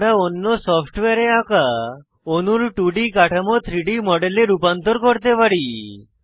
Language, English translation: Bengali, We can convert 2D structures of molecules drawn in another software into 3D models